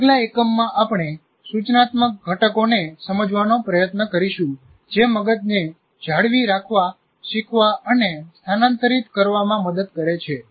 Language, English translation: Gujarati, And in the next unit, we'll try to understand the instructional components that facilitate the brain in dealing with retention, learning and transfer